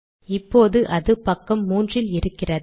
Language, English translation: Tamil, So this is in page 3